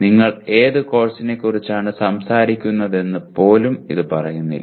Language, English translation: Malayalam, It does not even say which course you are talking about